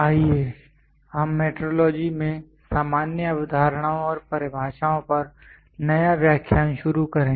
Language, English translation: Hindi, Let us start new lecture on General Concepts and Definitions in Metrology